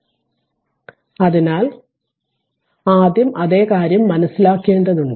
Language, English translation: Malayalam, So, same thing it is calculation is there later first we have to understand